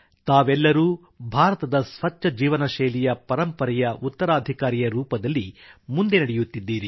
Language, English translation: Kannada, All of you are carrying forward the Indian tradition of a healthy life style as a true successor